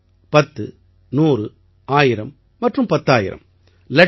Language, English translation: Tamil, One, ten, hundred, thousand and ayut